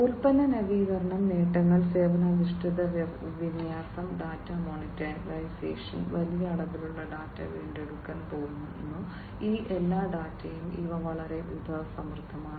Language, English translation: Malayalam, Product innovation; the benefits are service oriented deployment, data monetization, all these data that are going to be retrieved huge volumes of data these are very much resource full